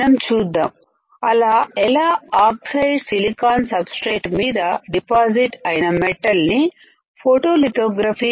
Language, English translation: Telugu, So, let us see how we can pattern the metal that is deposited on the oxide silicon substrate using photolithography